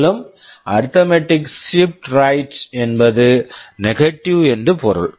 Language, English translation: Tamil, And arithmetic shift left is same as logical shift left, no difference